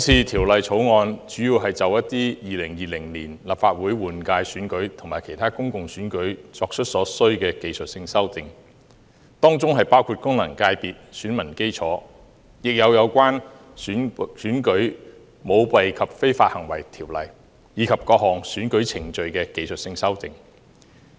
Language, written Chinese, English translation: Cantonese, 《條例草案》主要是就2020年立法會換屆選舉及其他公共選舉作出所需的技術性修訂，當中包括功能界別選民基礎，亦有關於《選舉條例》，以及各項選舉程序的技術性修訂。, The Bill mainly seeks to introduce necessary technical amendments for the 2020 Legislative Council General Election and other public elections including those concerning the electorate of functional constituencies arrangements in the Elections Ordinance as well as various electoral procedures